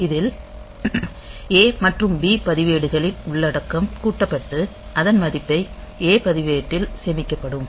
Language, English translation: Tamil, So, in that case the content of A and B registers will be added and the value will be stored in A register